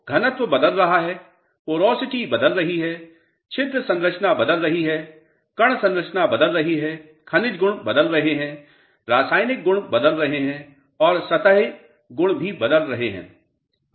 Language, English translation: Hindi, So, density is changing, porosity is changing, the pore structure is changing, the grain structure is changing, the mineralogical properties are changing, the chemical properties are changing and surface property is also changing